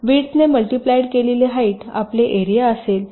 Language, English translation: Marathi, so just height multiplied by width will be your area